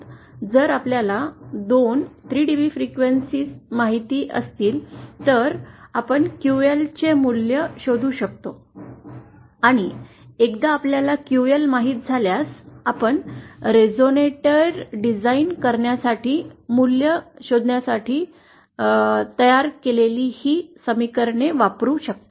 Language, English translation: Marathi, If you know the two 3dB dB frequencies, you can find out the value of QL and then once you know QL, you can use these equations that we just derived to find the values of the to design the resonator